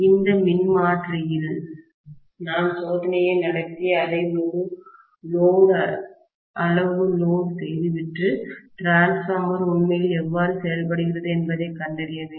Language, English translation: Tamil, If I have to conduct the test on this transformer and ascertain when I load it to the fullest extent, how the transformer is really performing